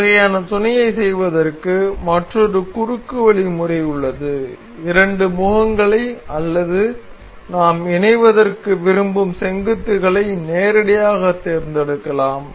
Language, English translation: Tamil, So, there is another shortcut method for doing this kind of mate is we can select directly select the two options the two faces or the vertices that we want to mate